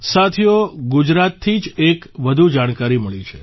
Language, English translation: Gujarati, Friends, another piece of information has come in from Gujarat itself